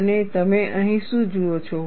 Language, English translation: Gujarati, And what do you see here